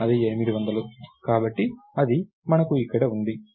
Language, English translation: Telugu, its 800, so, thats what we have here